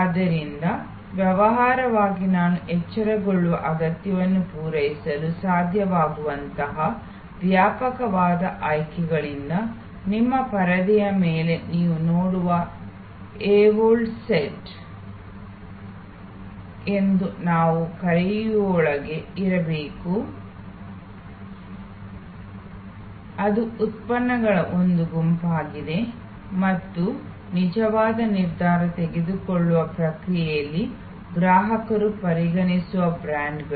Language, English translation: Kannada, So, as a business we have to ensure that from that wide array of choices that are possible to meet the arouse need, we have to be within what we call the evoked set, which you see on your screen, which is a set of products and brands that a consumer considers during the actual decision making process